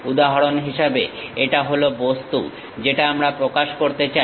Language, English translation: Bengali, For example, this is the object we would like to represent